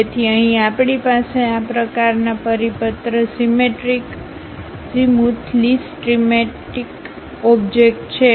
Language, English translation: Gujarati, So, here we have such kind of circular symmetry, azimuthally symmetric object